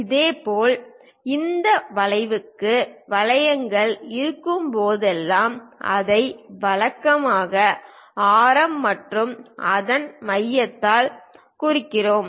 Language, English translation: Tamil, Similarly, whenever there are arcs for this arc we usually represent it by radius and center of that